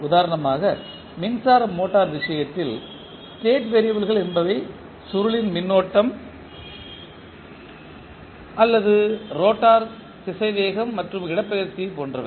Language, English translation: Tamil, Say for example in case of electric motor, state variables can be like winding current or rotor velocity and displacement